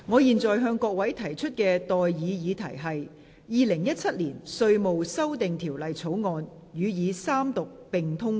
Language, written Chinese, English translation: Cantonese, 現在的待議議題是：《2017年稅務條例草案》予以三讀並通過。, I now propose the question to you That the Inland Revenue Amendment Bill 2017 be read the Third time and do pass